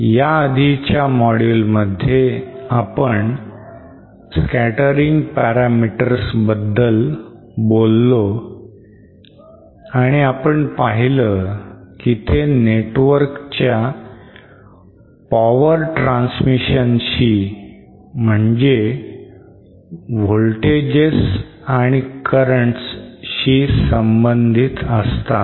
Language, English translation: Marathi, In the previous module we had discussed about scattering parameters and we saw that they are related to the power transmission in a network that is then voltages and currents